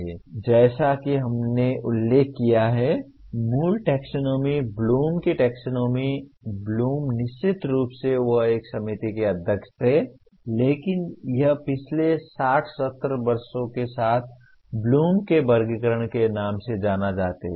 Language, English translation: Hindi, Now the as we mentioned, the original taxonomy, Bloom’s taxonomy, Bloom, of course he was a chairman of a committee that came out with but it the last 60, 70 years it goes with the name of as Bloom’s taxonomy